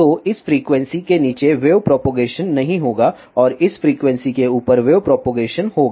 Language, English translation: Hindi, So, bellow this frequency there will not be any propagation of waves and above this frequency there will be propagation of the waves